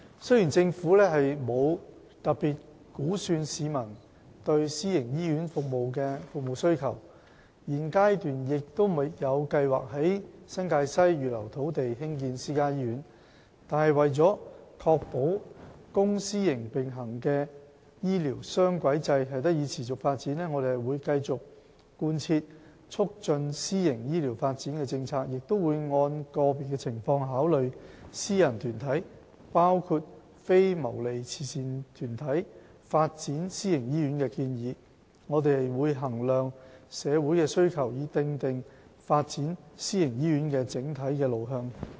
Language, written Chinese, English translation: Cantonese, 雖然政府沒有特別估算市民對私營醫院的服務需求，現階段亦沒有計劃在新界西預留土地以興建私家醫院，但為確保公私營並行的醫療雙軌制得以持續發展，我們會繼續貫徹促進私營醫療發展的政策，亦會按個別情況，考慮私人團體發展私營醫院的建議。我們會衡量社會的需求，以訂定發展私營醫院的整體路向。, The Government has not assessed the public demand for private hospital services nor does it have plan to reserve land in the NTW for the construction of private hospitals at this stage . However to ensure the sustainable development of the dual - track health care system we will continue to implement policies to promote private health care development and consider proposals from private